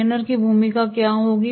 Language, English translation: Hindi, What will be the role of the trainer